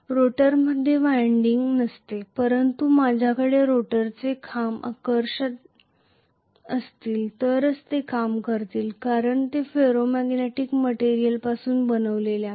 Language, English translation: Marathi, No winding is there in the rotor but this will work only if I have the rotor poles to be attracted because of them being made up of Ferro magnetic material